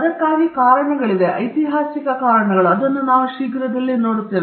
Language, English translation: Kannada, There are reasons for that, historical reasons, we will get into it soon